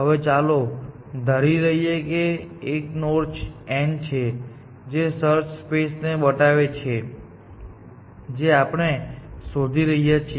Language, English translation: Gujarati, Now, let us assume that there is a node n which, let us remove this, that depicts a search space that we are exploring